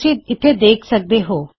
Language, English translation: Punjabi, As you can see here